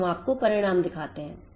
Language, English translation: Hindi, Now let us show you the results